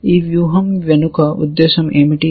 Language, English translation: Telugu, What is the intention behind this strategy